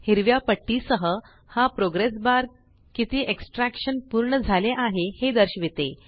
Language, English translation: Marathi, This progress bar with the green strips shows how much of the installation is completed